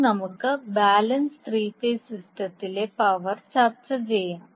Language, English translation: Malayalam, Now let us discuss the power in the balance three phase system